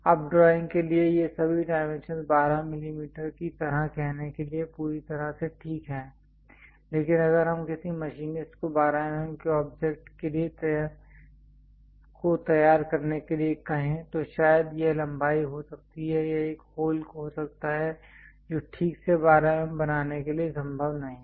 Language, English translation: Hindi, Now, all these dimensions for drawing is perfectly fine like saying 12 mm, but if you are asking a machinist to prepare 12 mm kind of object, perhaps it can be length it can be hole its not possible to precisely make 12 mm